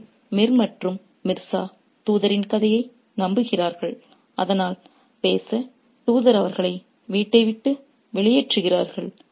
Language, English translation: Tamil, So, Mir and Mirza believe the story of the messenger, so to speak, and they get him and the messenger gets them out of the home